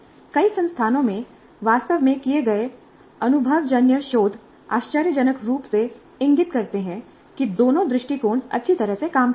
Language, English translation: Hindi, The empirical research actually carried out in several institutes seem to indicate surprisingly that both approaches work well